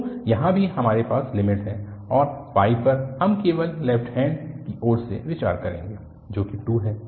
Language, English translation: Hindi, So, here also we have the limit and at pi we will just consider from the left hand side so that is 2